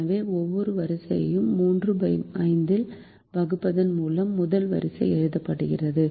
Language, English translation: Tamil, so the first row is written by dividing every element by three by five